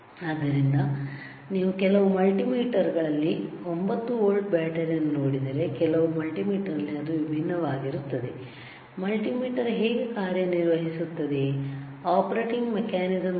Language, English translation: Kannada, So, if you see in some multimeters 9 volt battery some multimeter it is different the point is, what is the operating mechanism how multimeter operates